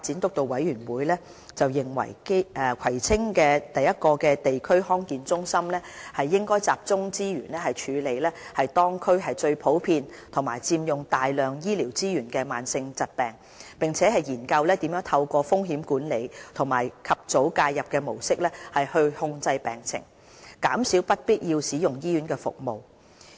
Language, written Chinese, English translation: Cantonese, 督導委員會認為，葵青區的第一個地區康健中心應集中資源處理當區最普遍及佔用大量醫療資源的慢性疾病，並研究如何透過風險管理和及早介入的模式控制病情，減少不必要使用醫院服務的情況。, In the opinion of the Steering Committee the first DHC in Kwai Tsing District should direct resources to the treatment of the most prevalent chronic diseases that consume substantial medical resources and explore how to manage their conditions through risk management and early intervention thereby reducing the unwarranted use of hospital services